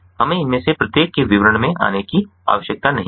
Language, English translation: Hindi, we dont need to get into details of each of these